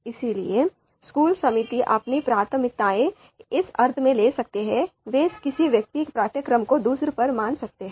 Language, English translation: Hindi, So the school committee might have might carry their own preferences in terms of in the sense that they might value a particular course over another